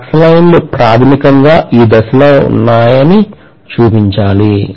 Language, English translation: Telugu, I should show the flux lines will be in this direction basically